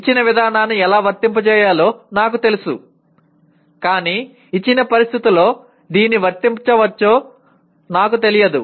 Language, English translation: Telugu, An example is I know how to apply a given procedure but I do not know whether it can be applied in a given situation